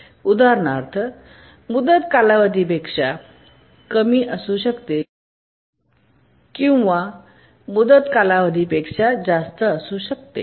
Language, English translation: Marathi, For example, deadline may be less than the period or deadline may be more than the period